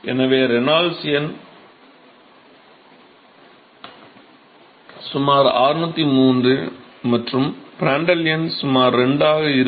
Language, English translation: Tamil, So, Reynolds number is about 603, and Prandtl number is about 2 or something like that